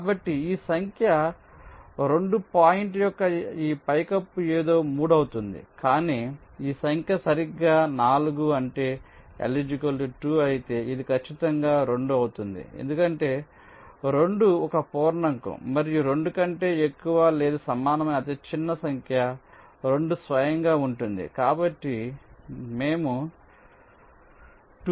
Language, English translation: Telugu, but if this number is exactly four, that that is l equal to two, then this will be exactly two, because two is an integer, and smallest number greater than or equal to two is two itself